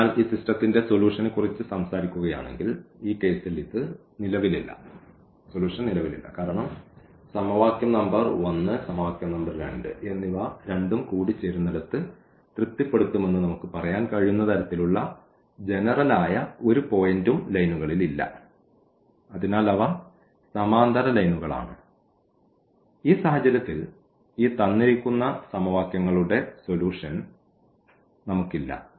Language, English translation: Malayalam, So, if we talk about the solution of this system; so, it does not exist in this case because there is no common point on the lines where, we can we can say that this point will satisfy both the equations equation number 1 and equation number 2 because they do not intersect